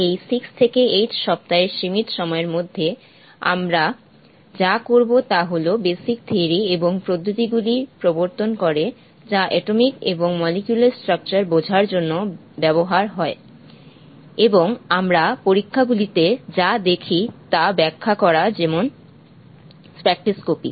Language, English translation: Bengali, What we would do in the limited period of this 8 six to eight weeks is to introduce the basic theory and methods which are used to understand atomic and molecular structure, and also to explain, what we see in the experiments namely in spectroscopy